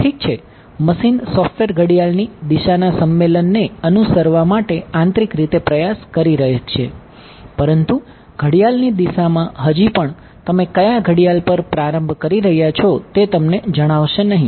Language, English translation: Gujarati, Well the machine software may internally try to follow a convention of clockwise, but clockwise still will not tell you where on the clock you are starting